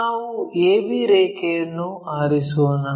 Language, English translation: Kannada, Let us pick a, A B line this one